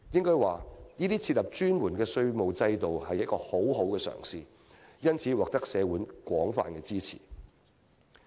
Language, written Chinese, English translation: Cantonese, 我可以說，這是設立專門稅務制度的一個很好嘗試，因此獲得社會廣泛支持。, I can say that this is a good attempt on the Governments part to establish a specialized taxation system in Hong Kong and hence it has wide support in the community